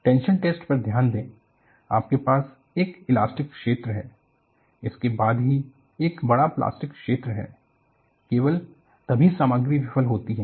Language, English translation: Hindi, The focus on the tension test was, you have an elastic region, followed by a large plastic zone, then only the material fails